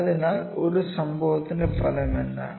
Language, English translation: Malayalam, So, what is the outcome of an event